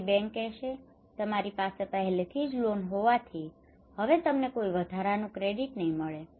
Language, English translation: Gujarati, So the bank would say that you have already loan so you cannot get any extra credit now